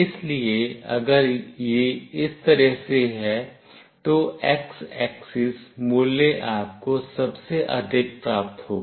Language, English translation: Hindi, So, if it is like this, the x axis value you will receive the highest one